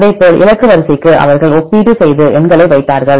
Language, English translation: Tamil, Likewise for the target sequence they made this comparison and put the numbers